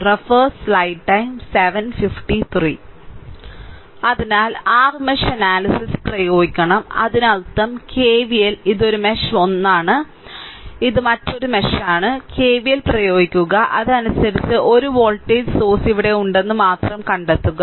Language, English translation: Malayalam, So, we have to apply your mesh analysis ah; that means, KVL this is 1 mesh; this is another mesh, you apply KVL and accordingly, you find out only thing is that 1 voltage source is here